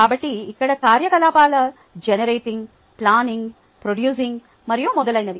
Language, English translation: Telugu, ok, so the activities here are generating, planning, producing and so on